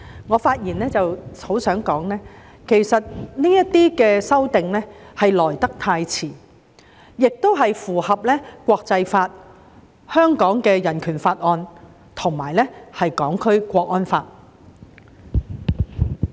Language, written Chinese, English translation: Cantonese, 我希望在此發言指出，這些修訂其實來得太遲，而且符合國際法、《香港人權法案條例》和《香港國安法》。, I would like to hereby point out that the proposed amendments have indeed come too late and they are in compliance with international law the Hong Kong Bill of Rights and the Hong Kong National Security Law